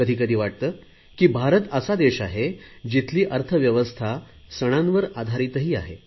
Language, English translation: Marathi, At times it feels India is one such country which has a 'festival driven economy'